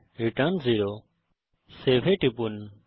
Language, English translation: Bengali, Return 0 Click on Save